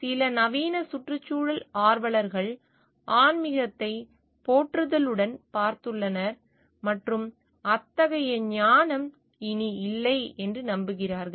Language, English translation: Tamil, Some modern environmentalists have looked upon animism with admiration and have believed that such wisdom such type of wisdom does not exist anymore